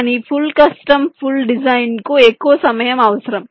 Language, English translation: Telugu, but full custom, complete design, will require much more time